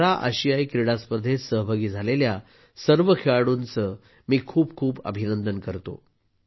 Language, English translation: Marathi, I congratulate all the athletes participating in the Para Asian Games